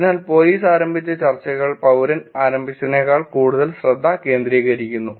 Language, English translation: Malayalam, But the police initiated discussions are more focused than citizen initiated